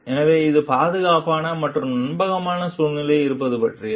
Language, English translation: Tamil, So, it is all about being in a safe and trustworthy environment